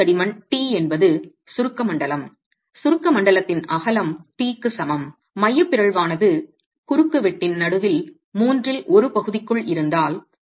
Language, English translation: Tamil, So the total thickness is t, the compressed zone, the width of the compressed zone is equal to t if the eccentricity is within the middle one third of the cross section